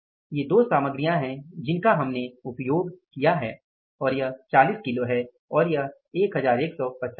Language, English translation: Hindi, These are the two materials we have used and this is the 40 kages and 11 50